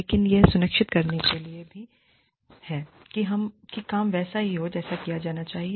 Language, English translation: Hindi, But, they are also there to ensure, that the work is done, the way it should be done